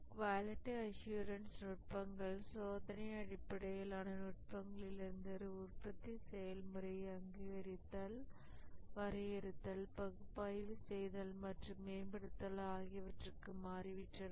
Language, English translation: Tamil, The quality assurance techniques have shifted from just testing based techniques to recognizing, defining, analyzing and improving the production process